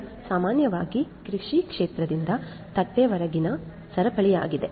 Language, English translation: Kannada, This is typically the chain from the agricultural field to the plate